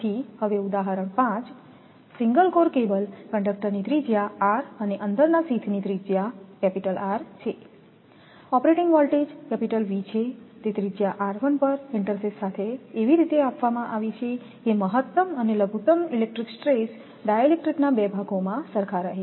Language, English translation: Gujarati, So, example 5; A single core cable conductor radius r and inside sheath radius R the operating voltage is V it is provided with an intersheath at that radius r1 such that maximum and minimum electric stresses in the two portions of dielectric are the same